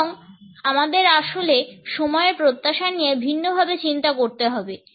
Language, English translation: Bengali, And we really have to think differently about expectations around timing